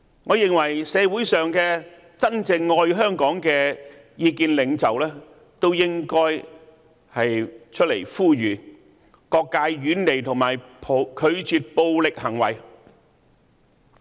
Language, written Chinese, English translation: Cantonese, 我認為社會上的真正愛香港的意見領袖，都應該出來呼籲各界遠離及拒絕暴力行為。, I opine that key opinion leaders who really love Hong Kong should speak up and urge all sectors to distance themselves from violence and say no to violence